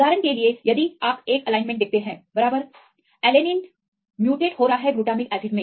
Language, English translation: Hindi, For example, if you see an alignment, right, alanine is mutated glutamic acid